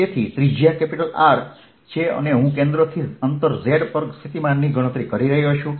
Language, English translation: Gujarati, so this radius is r and i am calculating the potential at a distance z from the centre